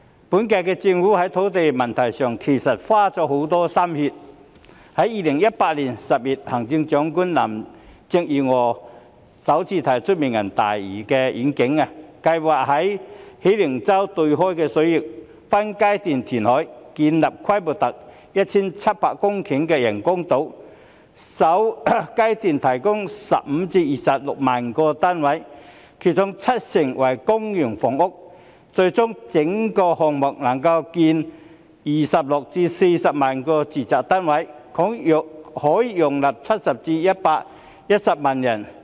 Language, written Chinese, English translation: Cantonese, 本屆政府在土地問題上花了很多心血，在2018年10月，行政長官林鄭月娥首次提出"明日大嶼願景"，計劃在喜靈洲對出的水域分階段填海，建立規模達 1,700 公頃的人工島，首階段提供15萬至26萬個單位，其中七成為公營房屋，最終整個項目能夠興建26萬至40萬個住宅單位，可容納70萬至110萬人。, In October 2018 Chief Executive Carrie LAM proposed for the first time the Lantau Tomorrow Vision under which the Government plans to carry out phased reclamation in the waters off Hei Ling Chau for the construction of artificial islands with a total area of 1 700 hectares . In the first phase the project will provide 150 000 to 260 000 units of which 70 % being public housing . Ultimately the entire project provides 260 000 to 400 000 residential units which could accommodate a population of 700 000 to 1.1 million